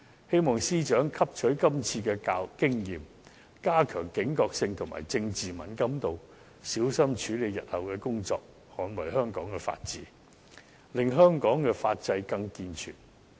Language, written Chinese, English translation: Cantonese, 希望司長汲取今次經驗，加強警覺性及政治敏感度，小心處理日後的工作，捍衞香港法治，令香港法制更健全。, I appreciate her determination and I hope that the Secretary for Justice has learned from this experience and increased her alertness and political sensitivity so that she will carefully handle her future work in safeguarding the rule of law in Hong Kong and further improving our legal system